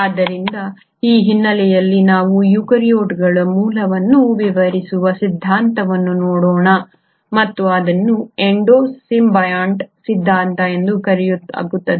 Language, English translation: Kannada, So with this background let us look at the theory which explains the origin of eukaryotes and that is called as the Endo symbiont theory